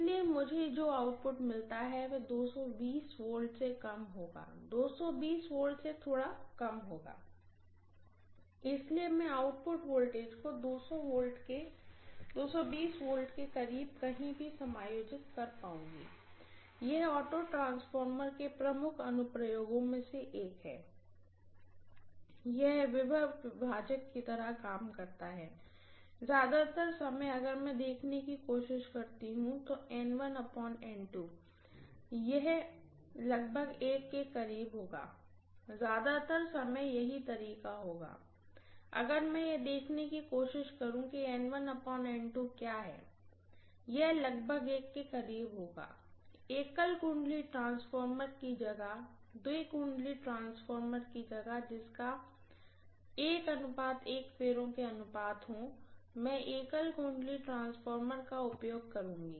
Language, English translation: Hindi, So what I get as the output will be less than 220 V, slightly less than 220 V, so I would be able to adjust the output voltage anywhere close to 220 volts, this is one of the major applications of auto transformer, it works like a potential divider, most of the time if I try to look at N1 by N2 it will be close to unity, most of the times that is the way it will be, if I try to look at what is N1 by N2 it will be close to unity, but rather than using single winding, rather two winding transformers which are having a turn’s ratios of 1 is to 1